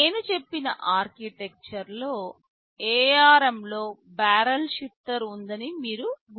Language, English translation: Telugu, You recall in the architecture I told in ARM there is a barrel shifter